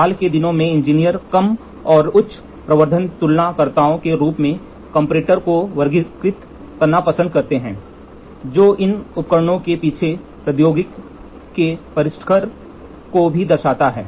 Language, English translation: Hindi, In recent times, engineers prefer to classify comparator as low and high amplification comparators, which also reflect the sophistication of the technology that is behind these devices